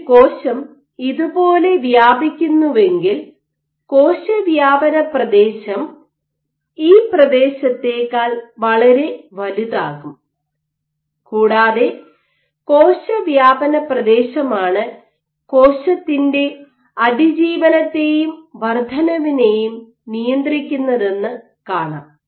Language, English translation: Malayalam, So, if a cell spreads like this this cell spreading area is much greater than this area and what it was found that it is the cell spreading area which regulates survival and proliferation